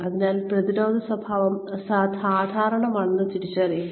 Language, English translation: Malayalam, So, recognize that, the defensive behavior is normal